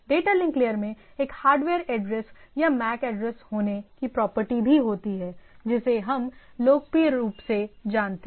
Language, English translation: Hindi, Data link layer also has a property of a having a hardware address or MAC address what we popularly known as